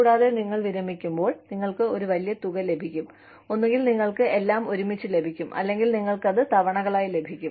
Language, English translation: Malayalam, And, when you retire, you get a lump sum, either, you get it all together, or, you get it in instalments